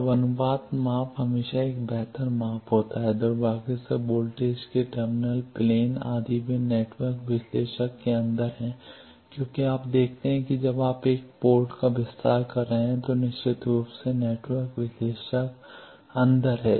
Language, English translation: Hindi, Now, the ratio measurement always is a better measurement unfortunately the terminal plains of voltages etcetera they are inside network analyzer because you see when you are extending a port definitely network analyzer is sitting inside